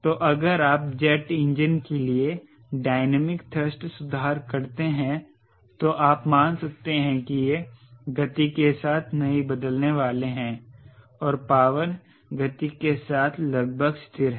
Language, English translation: Hindi, so dynamic thrust corrections if you are doing for jet engine you can assume that ok, not going to changing with a speed and power is almost remain with constant with speed